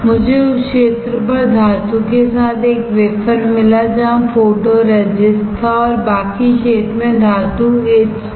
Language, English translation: Hindi, I got a wafer with metal on the area where photoresist was there and the rest of the area the metal got etched